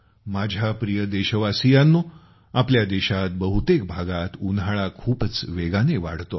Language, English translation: Marathi, My dear countrymen, summer heat is increasing very fast in most parts of the country